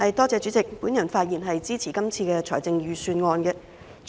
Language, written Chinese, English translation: Cantonese, 代理主席，我發言支持這份財政預算案。, Deputy President I speak in support of this Budget